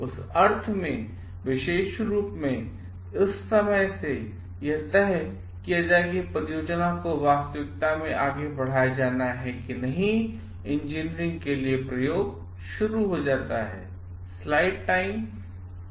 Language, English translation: Hindi, So, in that sense more specifically from the time, it is decided the project is to be pursued into reality actually experimentation starts for engineering